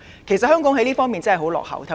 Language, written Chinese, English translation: Cantonese, 其實，香港在這方面真的十分落後。, In fact Hong Kong is rather backward in this respect